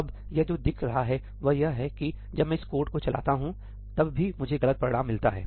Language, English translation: Hindi, Now, what this is showing is that when I run this code , I still get the wrong result